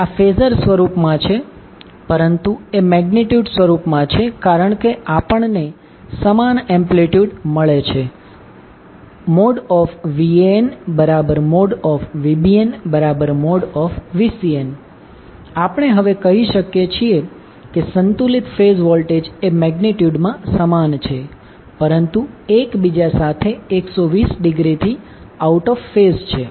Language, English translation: Gujarati, So, that is in phasor form, but in magnitude form, since, we have same amplitude will get Van equal to the model of Van equal to mod of Vbn equal to mod of Vcn so, what we can say now, the balanced phase voltages are equal in magnitude, but are out of phase with each other by 120 degree